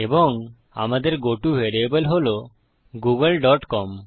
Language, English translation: Bengali, And our goto variable is google dot com